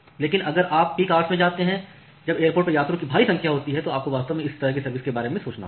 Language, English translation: Hindi, But if you go at the peak hours when there are huge numbers of passengers in the airport then you have to really think about this kind of quality of service